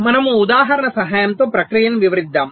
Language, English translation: Telugu, ok, so we illustrate the process with the help of an example